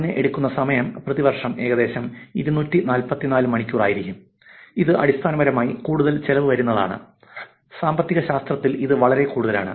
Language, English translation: Malayalam, Time taken would be about 244 hours per year, which is basically, that questions more on the lines of economics of what would it cost